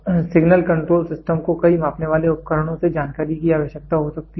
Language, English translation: Hindi, Then the signal control system may require information from many measuring instruments